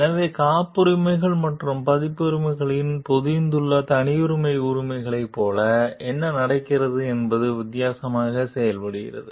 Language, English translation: Tamil, So, what happens like the proprietary rights embodied in patents and copyrights work differently